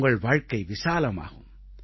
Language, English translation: Tamil, Your life will be enriched